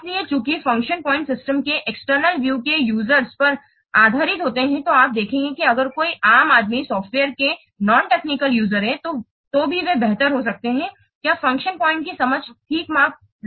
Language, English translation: Hindi, So, since function points are based on the user's external view of the system, you will see that even if any lame and non technical users of the software, they can also have better understanding of what function points are measuring